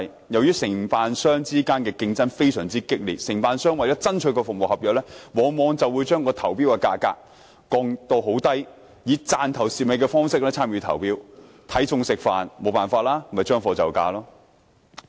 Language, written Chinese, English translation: Cantonese, 由於承辦商之間的競爭非常激烈，承辦商為了取得服務合約，往往將投標價格降至很低，以"賺頭蝕尾"的方式參與投標，"睇餸食飯"、將貨就價。, Given the extremely keen competition among outsourced service contractors they tend to propose extremely low tender prices to ensure that they will be awarded the service contracts . Not only will they adopt the approach of offsetting subsequent losses with the initial profits in participating in tenders but they will also spend within the means and provide inferior services at lower costs